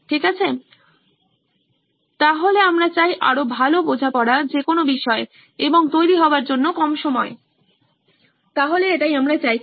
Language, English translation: Bengali, Okay, so we want better understanding of the topic and less time for preparation, so this is what we are aiming for